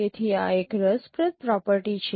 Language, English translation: Gujarati, So this is one of the interesting property